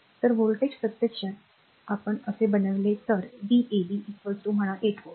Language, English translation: Marathi, So, this voltage actually if we make like this the v a b is equal to say 8 volt right